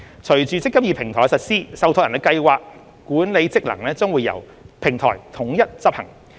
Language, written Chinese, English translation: Cantonese, 隨着"積金易"平台的實施，受託人的計劃管理職能將會由平台統一執行。, With the implementation of the eMPF Platform the scheme administration functions of trustees will be performed centrally via the Platform